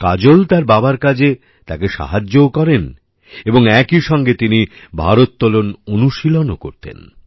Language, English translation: Bengali, Kajol would help her father and practice weight lifting as well